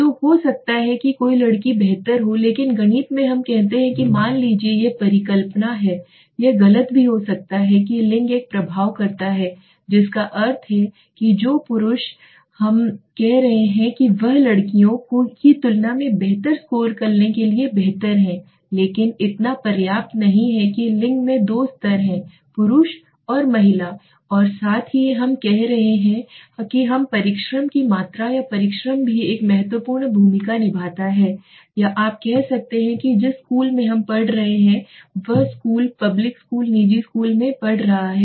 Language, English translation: Hindi, So there may be a girls would have better but in math s we say suppose that lets hypothesis it could be wrong also that gender does an effect that means male we are saying are having a bigger better role to score better than the girls okay but that is no enough so gender has two levels let us say male and female okay plus we are saying suppose we want to also know okay the amount of hard work let us say amount of hard work or hard work also plays an important or you can say the school in which school we are studying the kind of school they are studying they say public school private school